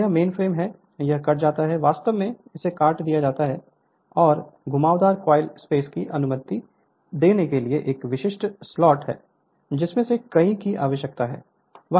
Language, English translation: Hindi, And this is the mainframe it is cut actually it is cut right, and this is a typical slot to allow winding coil space need right one of many